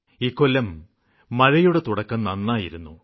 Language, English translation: Malayalam, This year the rains have started on a good note